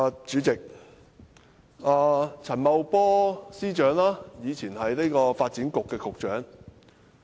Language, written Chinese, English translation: Cantonese, 主席，陳茂波司長以前是發展局局長。, President Financial Secretary Paul CHAN was previously Secretary for Development